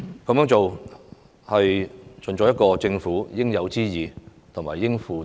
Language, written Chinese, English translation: Cantonese, 這樣做是盡政府應有之義和應負之責。, The Government has the due responsibility and obligation to do so